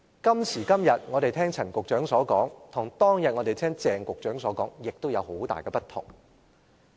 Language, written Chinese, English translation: Cantonese, 今時今日，我們聽到陳局長所說的，與當天聽鄭局長所說的也有很大的不同。, What we hear from Secretary CHAN now is not very different from what we heard from Secretary CHENG in the past